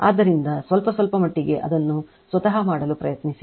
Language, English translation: Kannada, So, little bitlittle bit you try to do it yourself right